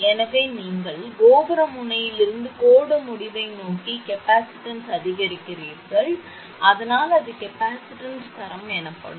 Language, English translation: Tamil, So, you increase the capacitor from the tower end towards the line end, so that is called capacitance grading